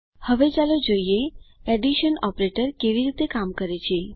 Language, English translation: Gujarati, Now lets see how the addition operator works